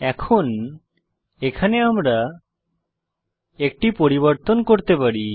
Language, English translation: Bengali, Now, we can make a change here